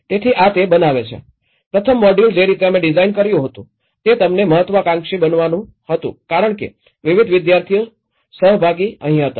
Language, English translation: Gujarati, So this gives the very, the first module the way we designed was it has to aspirate them because different student participants